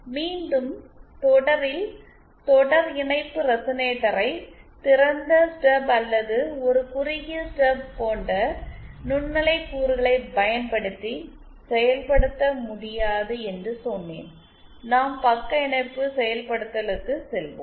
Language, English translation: Tamil, Since again, I said series resonator in series is not possible to implement using microwave components like open stub or a shorted stub, we will go for the shunt implementation